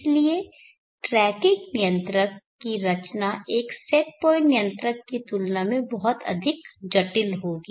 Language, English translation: Hindi, So therefore design of tracking controller will be much more complex compare to a set point controller